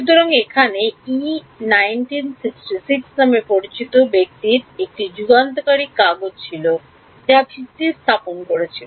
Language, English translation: Bengali, So, there was a landmark paper by the person called Yee 1966 which laid the foundation